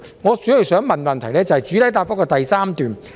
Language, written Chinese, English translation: Cantonese, 我主要想問的，是關於主體答覆第三部分。, I mainly wish to ask a question about part 3 of the main reply